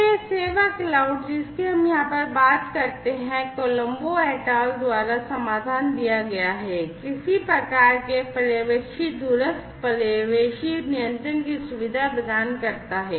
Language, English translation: Hindi, So, this service cloud that we talk about over here, as per the solution by Colombo et al, facilitates some kind of supervisory remote supervisory control